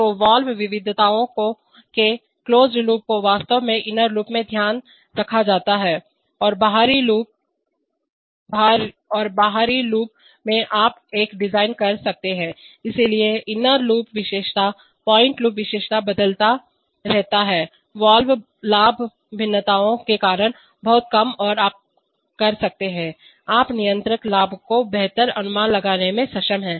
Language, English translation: Hindi, So the closed loops of the valve variations are actually taken care of in the inner loop and in the outer loop you can design a, so the inner loop characteristic, closed loop characteristic varies much less because of valve gain variations and you can, you are able to make a much better estimate of the controller gain